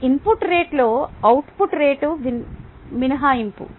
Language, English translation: Telugu, it is rate of input minus rate of output